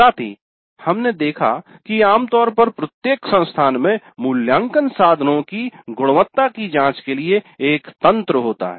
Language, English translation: Hindi, Also we have seen that typically every institute has a mechanism for checking the quality of the assessment instruments